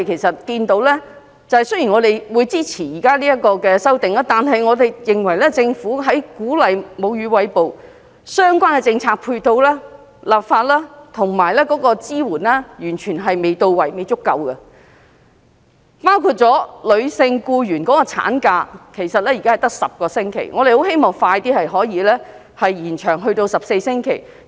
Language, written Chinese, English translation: Cantonese, 雖然我們支持現時的修訂，但我們認為政府鼓勵餵哺母乳的相關政策配套、立法及支援完全未到位，也未足夠，包括女性僱員的產假現時只有10星期，我們希望可以盡快延長至14星期。, Although we support this amendment we think that the Government has failed to provide proper or adequate supporting policy legislation and assistance to encourage breastfeeding . This includes maternity leave for female employees who currently are only entitled to 10 weeks of maternity leave . We hope that the maternity leave can be extended to 14 weeks as soon as possible